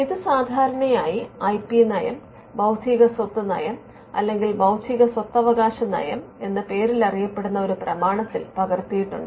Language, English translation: Malayalam, Now, this is usually captured in a document called the IP policy, the intellectual property policy or the intellectual property rights policy